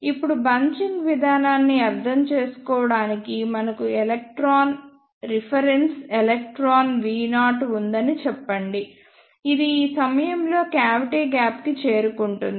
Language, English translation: Telugu, Now, to understand the bunching process let us say we have an electron reference electron V naught, which reaches the cavity gap at this point of time